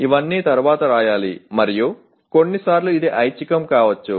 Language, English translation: Telugu, All these should come later and sometimes it can be optional